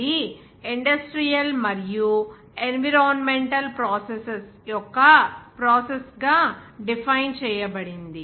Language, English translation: Telugu, That is defined as Industrial and environmental processes